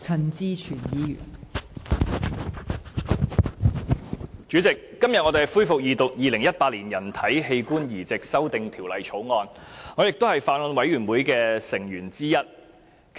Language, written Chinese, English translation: Cantonese, 代理主席，我們今天要恢復《2018年人體器官移植條例草案》的二讀辯論，而我亦是法案委員會的成員之一。, Deputy President we are holding the resumption of Second Reading debate on the Human Organ Transplant Amendment Bill 2018 today . I was one of the members of the Bills Committee